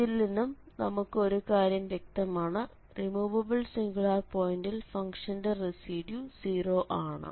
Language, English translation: Malayalam, So, in the first case since it is a removable singularity the residues is going to be 0